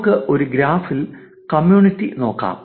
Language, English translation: Malayalam, Let us also briefly look at community in a graph